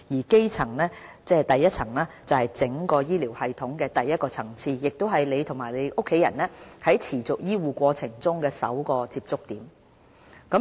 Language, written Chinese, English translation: Cantonese, "基層"是整個醫療系統的第一個層次，亦是你和你家人在持續醫護過程中的首個接觸點。, Primary health care is the first level of care in the whole health care system and is also the first point of contact for you and your family members in a continuing health care process